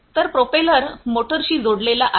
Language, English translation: Marathi, So, these propellers are connected to these motors, this is a motor